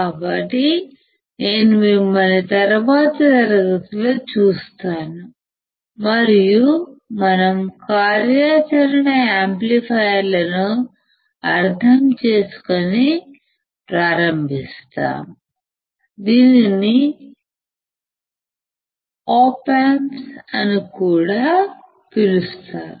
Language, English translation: Telugu, So, I will see you in the next class, and we will start understanding the operational amplifiers, which is also call the Op Amps